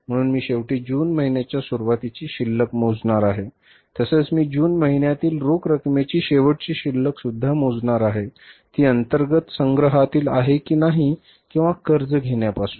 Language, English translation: Marathi, I will calculate the closing balance for the month of June of that is the closing balance of the cash for the month of the June whether it is from the internal collections or from the borings